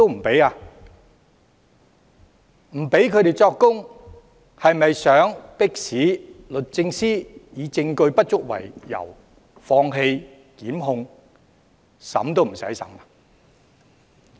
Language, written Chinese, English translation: Cantonese, 不許他們作供，是否想迫使律政司以證據不足為由放棄檢控，以致案件不用經法庭審理？, Is forbidding those officers from giving evidence an attempt to force DoJ to throw away the charges due to insufficient evidence thereby preventing the case from being heard in Court?